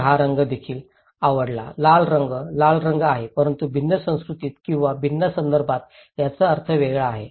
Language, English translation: Marathi, so, also like this colour; red colour, the colour is red but it has different meaning in different cultural or different context